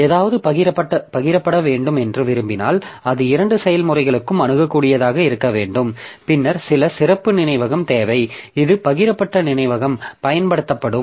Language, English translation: Tamil, So, if we really want something is to be shared, that is some variable has to be accessible to both the processes, then I need some special area of memory which will be used as the shared memory